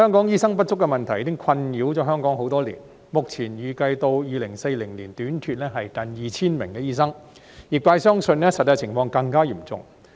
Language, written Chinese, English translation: Cantonese, 醫生不足的問題已經困擾香港多年，目前預計至2040年短缺近 2,000 名醫生，業界相信實際情況更為嚴重。, The doctor shortage problem has plagued Hong Kong for many years . At present it is anticipated that there will be a shortfall of nearly 2 000 doctors by 2040 . The sector believes that the actual situation will be even worse